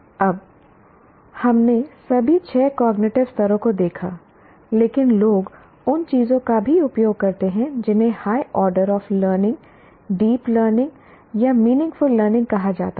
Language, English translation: Hindi, Now we looked at all these six cognitive levels, but people also use what are called higher orders of learning, deep learning or meaningful learning